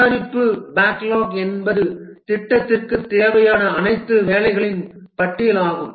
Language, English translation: Tamil, The product backlog is a list of all the desired work for the project